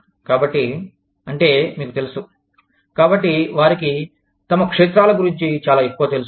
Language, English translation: Telugu, So, that is, you know, so they, know a lot more, about their fields